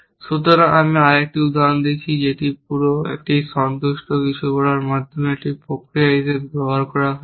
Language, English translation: Bengali, So, let me give another example where whole same satisfaction has been use as a mechanism for doing something